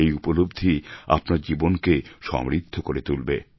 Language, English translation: Bengali, These experiences will enrich your lives